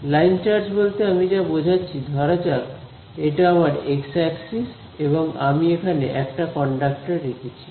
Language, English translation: Bengali, So, what do I mean by a line charge is let say that I have x, this is my axis and over here I have put a conductor